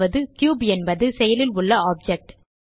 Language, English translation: Tamil, This means that the active object is the cube